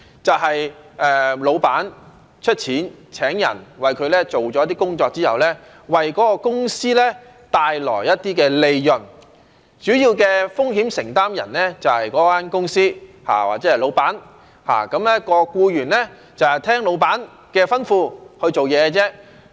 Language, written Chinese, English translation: Cantonese, 就是老闆出錢請人，那人為他做了一些工作之後，為該公司帶來一些利潤，主要的風險承擔人就是該公司或老闆，而僱員就是聽老闆的吩咐去做事。, It means an employer paying someone to do certain work for him in order to make profits for his company in which case the company or the employer will become the main risk bearer and an employee should perform his work under the employers orders